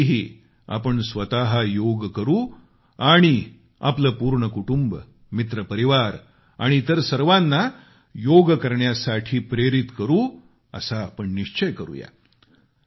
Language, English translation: Marathi, This time too, we need to ensure that we do yoga ourselves and motivate our family, friends and all others from now itself to do yoga